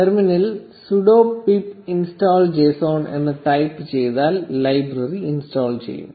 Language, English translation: Malayalam, Just type sudo pip install json in the terminal and the library will be installed